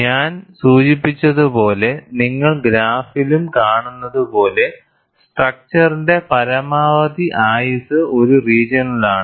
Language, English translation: Malayalam, And as I mentioned, and you also see in the graph, maximum life of the component is in this region